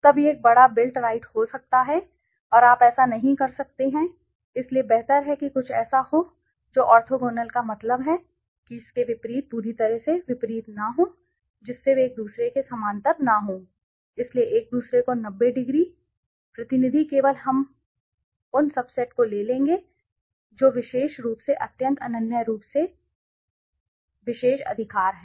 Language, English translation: Hindi, Then it could be a huge built up right and you cannot do it so it is better to have something which is orthogonal means completely opposite not opposite they do not meet that means parallel to each other right so the 90 degree to each other so those representative only we will take those subsets which are exclusive extremely exclusive mutually exclusive right